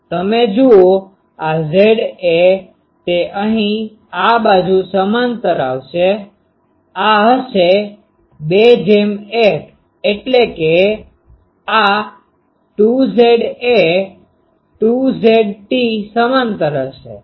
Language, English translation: Gujarati, You see, this Z a; that will come here this side parallel, it will be this is 2 is to 1 means this will be 2 Z a 2 Z t parallel to this